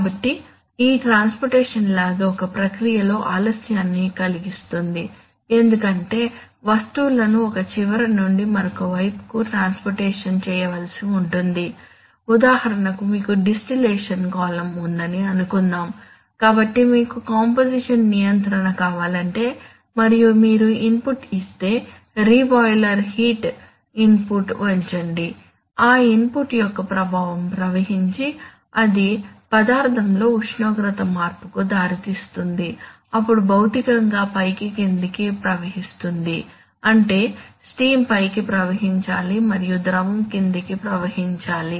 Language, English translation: Telugu, So this transportation lag can cause a delay either in a process because things have to be transported from one end to the other, for example suppose you have a distillation column, so if you want to have composition control and if you give an input, let us say either at the either increase the let us say the re boiler heat input then the effect of that input has to, has to travel that is the which will lead to a temperature change in the material then that has to physically travel up and down that is a vapor has to travel up and the liquid has to travel down